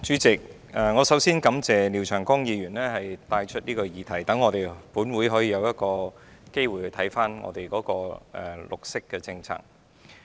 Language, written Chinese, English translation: Cantonese, 主席，我首先感謝廖長江議員提出這項議題，讓本會可以有機會檢視政府的綠色政策。, President to begin with I wish to thank Mr Martin LIAO for raising this issue . This has given this Council an opportunity to review the Governments environmental policy